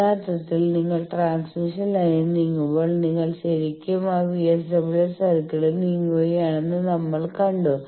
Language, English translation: Malayalam, We have seen that actually moving on the transmission line means you are moving on that VSWR circle